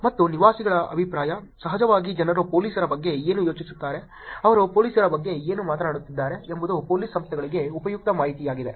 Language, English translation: Kannada, And residents' opinion, of course, what people think about police, what are they talking about police is also useful information for police organizations